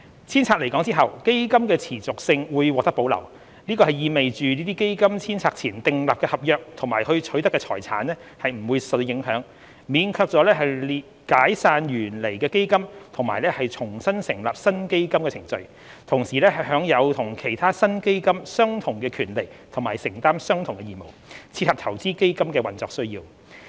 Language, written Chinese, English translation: Cantonese, 遷冊來港後，基金的持續性會獲得保留，這意味着在基金遷冊前訂立的合約及取得的財產不會受到影響，免卻了解散原來的基金並重新成立新基金的程序，同時享有與其他新基金相同的權利和承擔相同的義務，切合投資基金的運作需要。, The continuity of funds will be preserved upon re - domiciliation to Hong Kong . In other words the contracts made and property acquired before re - domiciliation will remain unaffected obviating the need for dissolving original funds and re - establishing new funds . Meanwhile the funds would have the same rights and obligations as any other newly established funds in Hong Kong to meet the operational needs of investment funds